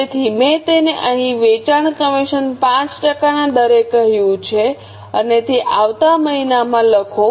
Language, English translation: Gujarati, So, I have already stated it here, sales commission at 5% and write it in the next month